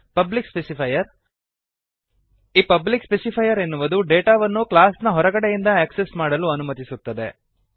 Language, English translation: Kannada, Public specifier The public specifier allows the data to be accessed outside the class